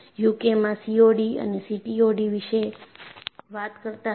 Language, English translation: Gujarati, In the UK, they were talking about COD and CTOD